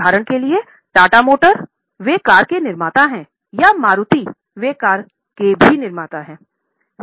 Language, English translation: Hindi, For example, Tata Motors they are manufacturers of car or Maruti